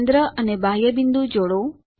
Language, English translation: Gujarati, Join centre and external point